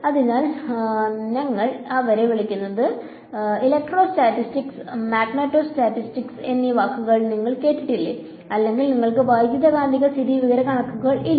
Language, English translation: Malayalam, So, we call them that is why you heard the words electrostatics and magneto statics or you do not have electromagneto statics ok